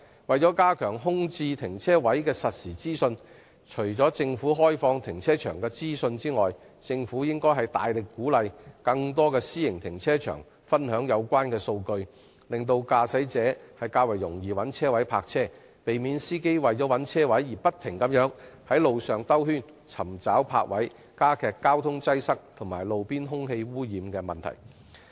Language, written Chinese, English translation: Cantonese, 為了加強空置停車位的實時資訊，政府除了開放停車場的資訊外，更應大力鼓勵更多私營停車場分享有關數據，讓駕駛者更易找到泊車位，避免司機為了尋覓車位而不斷在馬路上"兜圈"，加劇交通擠塞及路邊空氣污染的問題。, In order to enhance real - time information on vacant parking spaces the Government should besides opening up information on car parks vigorously encourage more private car parks to share the relevant data to make it easier for motorists to find parking spaces so as to prevent them from circling on roads in search of parking spaces which will exacerbate traffic congestion and roadside air pollution